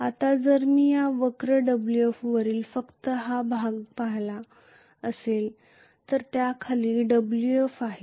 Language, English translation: Marathi, Whereas now if I am looking at only this the portion above this curve Wf and below that is Wf dash